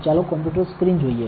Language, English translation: Gujarati, Let us look at the computer screen